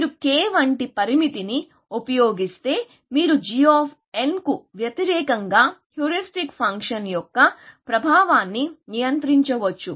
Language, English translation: Telugu, If you use a parameter like k, you can actually control the effect of heuristic function versus g of n